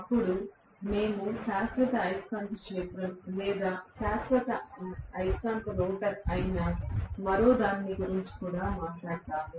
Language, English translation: Telugu, Then we also talked about one more which is actually a permanent magnet machine or permanent magnet rotor